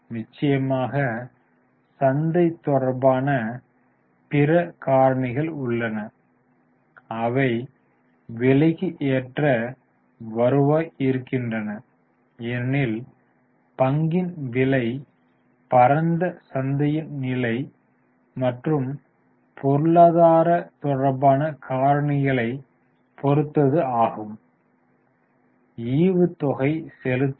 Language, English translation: Tamil, Of course there are other market related factors also which go into the P because the price of the share also depends on vast market and economic related factors